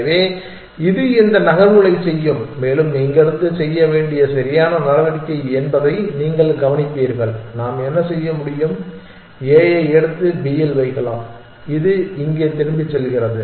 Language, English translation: Tamil, So, it will make this moves and that you will notice is the correct move to make from here what can we do it can either pick up a and put it on b which is going back here